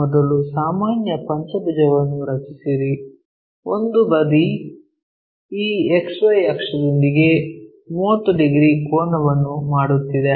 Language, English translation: Kannada, First drawn a pentagon, regular pentagon, one of the side is making 30 degrees angle with this XY axis